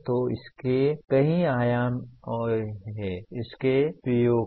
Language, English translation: Hindi, So there are several dimensions to this, to this PO